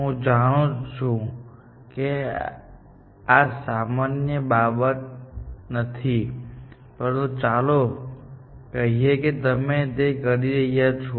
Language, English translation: Gujarati, I know that is not the normal thing, but let us say that is what you are doing, essentially